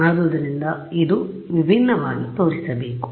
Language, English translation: Kannada, So, it should show up as something different